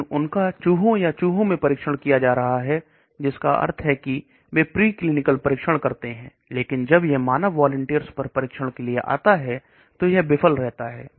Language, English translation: Hindi, But they are being tested in rats or mice that means preclinical trials they work, but when it comes to human volunteer trial it fails